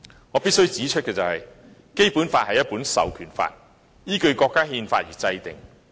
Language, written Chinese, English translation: Cantonese, 我必須指出，《基本法》是一本授權法，依據國家憲法而制定。, I must say that the Basic Law is a piece of enabling legislation formulated in accordance with the Constitution of our country